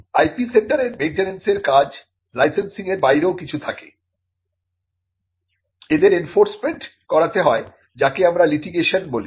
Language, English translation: Bengali, Now, the maintenance function of the IP centre goes beyond licensing; it also goes to enforcement what we call litigation